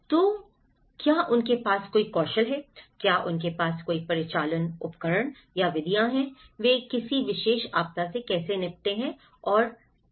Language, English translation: Hindi, So, do they have any skills, do they have any operational tools or methods, how they approach and tackle a particular disaster